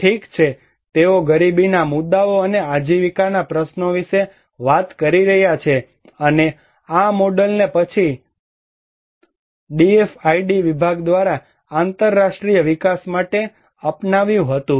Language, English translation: Gujarati, Well, they are talking about poverty issues and livelihood issues and which was this model was later on adopted by the DFID Department for international development